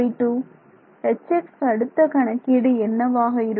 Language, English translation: Tamil, For H x where will the next evaluation of H x be